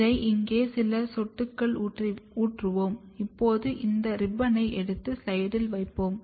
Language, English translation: Tamil, And we will pour few drops over here, now this ribbon will be taken and placed on the slide